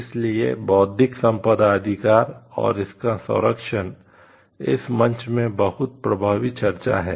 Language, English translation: Hindi, So, I the Intellectual Property Rights and its protection becomes very dominant discussion in this platform